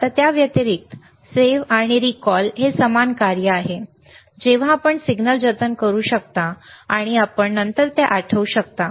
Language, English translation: Marathi, Now, other than that, save and recall is the same function that you can save the signal, and you can recall it later